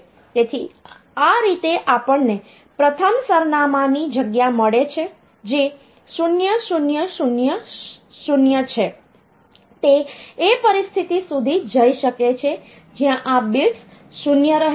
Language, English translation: Gujarati, So, that way we get the first address space which is 0000, it can go up to the situation where these bits remain 0, but this is 1 ok